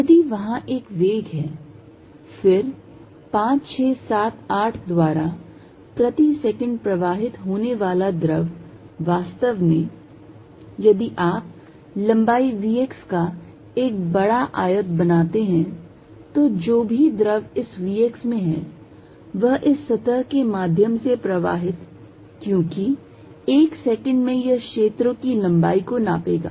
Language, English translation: Hindi, If there is a velocity v, then fluid passing through 5, 6, 7, 8 per second will be really, if you make a big rectangle of length v x whatever the fluid is in this v x is going to pass through this surface, because in one second it will cover the length fields